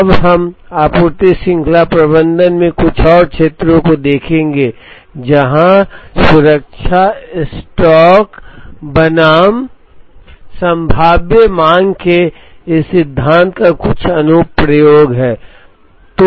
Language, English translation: Hindi, We will now see a couple of more areas in supply chain management, where this theory of safety stock versus probabilistic demand has some application